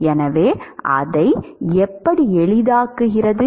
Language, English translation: Tamil, So, how does it simplify